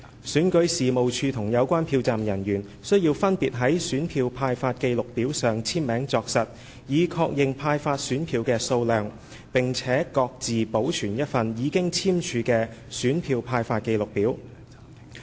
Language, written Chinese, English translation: Cantonese, 選舉事務處及有關票站人員須分別在選票派發記錄表上簽名作實，以確認派發選票的數量，並各自保存一份已簽署的選票派發記錄表。, Both REO and the polling staff concerned must sign on the Summary to confirm the quantity of ballot papers distributed and each of them was given a signed copy of the Summary for record